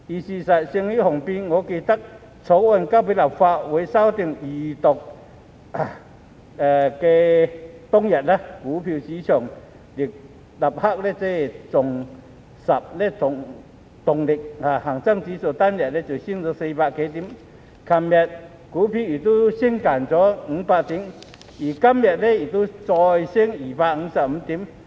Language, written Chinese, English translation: Cantonese, 事實勝於雄辯，我記得在《條例草案》提交立法會進行首讀和二讀當天，股票市場立即重拾動力，恒生指數單日飆升400多點，昨天股市亦升近500點，今天亦再升了255點。, Facts speak louder than words . I remember that on the day the Bill was introduced into the Legislative Council for First and Second Readings the stock market immediately regained momentum with the Hang Seng Index surging by over 400 points in one day . Yesterday the stock market also rose by nearly 500 points and today has risen another 255 points